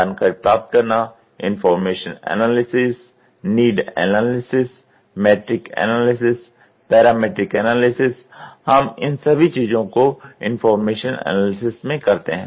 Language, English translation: Hindi, Acquiring information, information analysis, need analysis, metric analysis, parametric analysis we do all these things in the information analysis